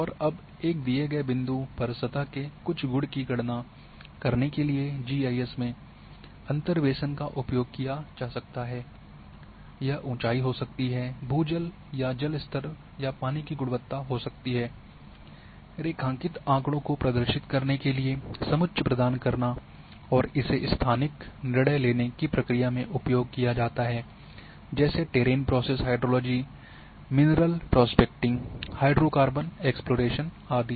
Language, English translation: Hindi, And now interpolation may be used in GIS to calculate some property of surface at a given point may be elevation, may be ground water or water table or water quality, to provide contours for displaying data graphically and it is frequently used in the spatial decision making process and such as terrain process hydrology, mineral prospecting, hydrocarbon exploration etcetera